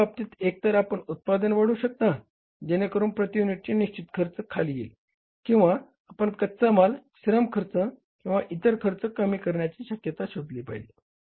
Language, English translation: Marathi, So, in that case either you can increase the production so that fixed cost per unit comes down or still you look for the possibilities of reducing the material labor or the overhead cost